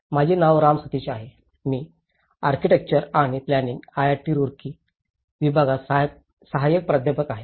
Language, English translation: Marathi, My name is Ram Sateesh, I am assistant professor in Department of Architecture and Planning IIT Roorkee